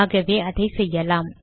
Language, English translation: Tamil, So let me do that